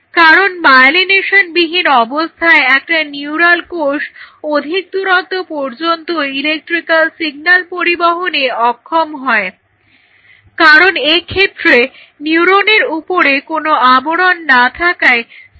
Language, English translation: Bengali, Because a neuronal cell without its myelination will not be able to carry over the electrical signal to a long distance it will lost because there is no covering on top of it